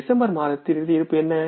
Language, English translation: Tamil, What is the closing balance of month of December